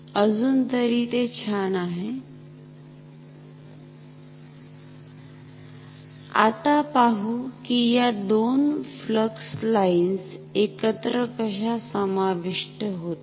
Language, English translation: Marathi, Now, let us see how this two flux lines add up together ok